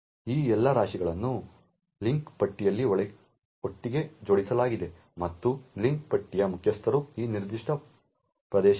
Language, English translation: Kannada, All of these heaps are linked together in a link list and the head of the link list is this particular area